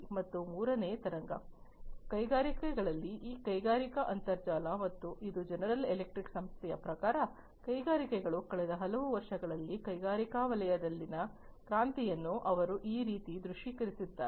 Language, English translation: Kannada, And the third wave, in the industries is this industrial internet and this is as per the company general electric, this is how they have visualized the revolution in the industrial sector over the last large number of years that industries have passed through